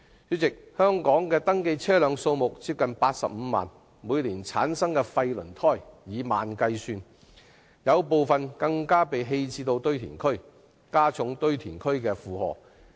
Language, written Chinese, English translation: Cantonese, 主席，香港的登記車輛數目接近85萬輛，每年產生的廢輪胎數以萬計，部分更被棄置到堆填區，加重堆填區的負荷。, President with the number of registered vehicles in Hong Kong approaching 850 000 tens of thousands of waste tyres are produced per annum and some of them are disposed of at landfills thereby exacerbating the burden on these landfills